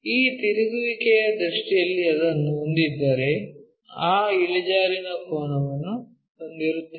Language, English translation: Kannada, If we have it in this rotation view, we will have that inclination angle